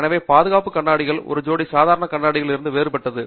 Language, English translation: Tamil, So, safety glasses are distinctly different from just a pair of normal glasses